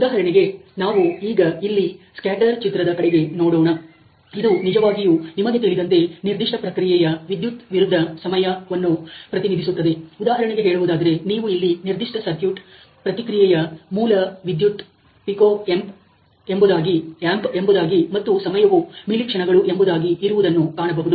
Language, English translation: Kannada, For example Let us say we look at a scatter diagram here, this is actually representing the current versus the time you know of a certain process, let say for example, you can see that the base current here is in pico amps, and the time of response of the particular circuit is in let say mili seconds